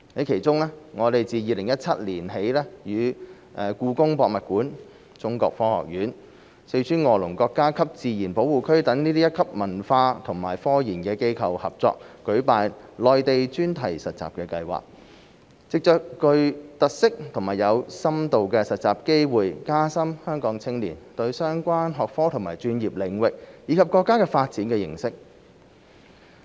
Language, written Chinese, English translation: Cantonese, 其中，我們自2017年起與故宮博物院、中國科學院、四川臥龍國家級自然保護區等一級文化和科研機構合作舉辦內地專題實習計劃，藉着具特色和有深度的實習機會加深香港青年對相關學科和專業領域，以及國家發展的認識。, Since 2017 we have been collaborating with first - rate cultural and scientific research institutions such as the Palace Museum the Chinese Academy of Sciences and the Wolong National Nature Reserve in Sichuan to organize the Thematic Youth Internship Programmes to the Mainland which provide unique and in - depth internship opportunities for Hong Kong youths to gain a better understanding of relevant disciplines and professional fields as well as the national development